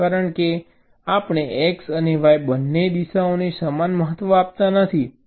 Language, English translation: Gujarati, because we are not giving equal importance to the x and y, both the directions